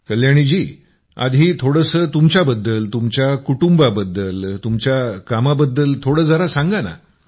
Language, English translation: Marathi, Kalyani ji, first of all tell us about yourself, your family, your work